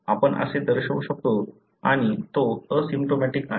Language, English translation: Marathi, You can denote like this and he is asymptomatic